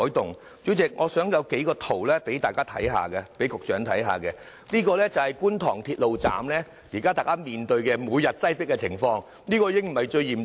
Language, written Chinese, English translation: Cantonese, 代理主席，我想局長看看這幾幅圖，這是現時觀塘鐵路站每天面對的擠迫情況，這已不算最嚴重了。, Deputy President the Secretary may have a look at these photographs . What we see in them is the overcrowdedness in Kwun Tong Station every day and this is not the worst situation already